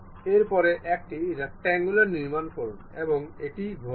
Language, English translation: Bengali, After that, construct a rectangular one and rotate it